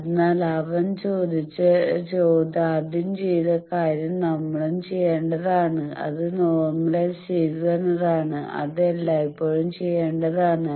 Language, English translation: Malayalam, So what he has done first we will have to do that you normalize that is always to be done